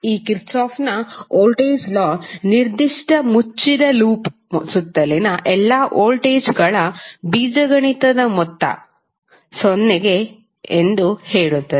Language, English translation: Kannada, This Kirchhoff’s voltage law states that the algebraic sum of all the voltages around a particular closed loop would be 0